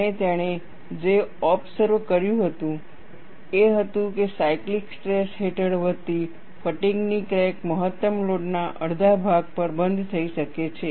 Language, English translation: Gujarati, And what he observed was, a fatigue crack growing under cyclic tension can close on itself at about half the maximum load